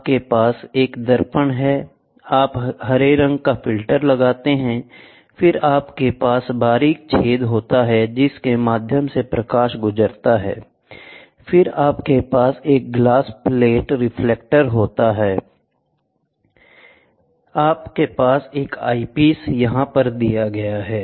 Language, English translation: Hindi, So, you have a mirror, then you put green filter, then you have pinholes through which the light passes through, then you have a glass plate reflector, you have an eyepiece here